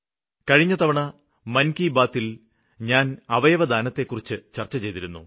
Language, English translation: Malayalam, Last time in 'Mann ki Baat' I talked about organ donation